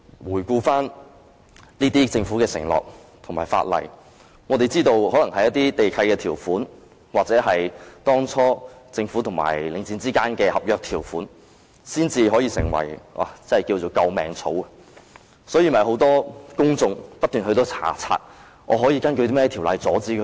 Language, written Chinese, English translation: Cantonese, 回顧政府的承諾和翻看法例，我們知道可能唯有地契條款或當初政府與領匯之間的合約條款，才能成為"救命草"，所以，很多公眾不斷翻查可以根據甚麼條例阻止他們。, Revisiting the Governments pledge and checking the laws we know that the terms of the land leases or those of the agreement entered between the Government and The Link REIT back then may be the only straw we can clutch at . For this reason many members of the public have been checking what ordinances can be invoked to stop them